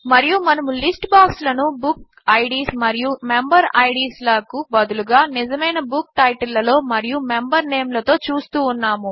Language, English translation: Telugu, And, we are also seeing list boxes with real book titles and member names, instead of book Ids and member Ids